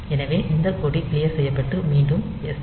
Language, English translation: Tamil, So, that flag is cleared and then SJMP again